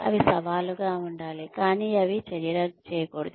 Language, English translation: Telugu, They should be challenging, but they should not be undoable